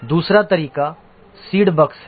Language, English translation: Hindi, The other way is to seed bugs